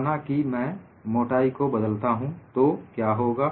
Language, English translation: Hindi, Suppose I vary the thickness, what would happen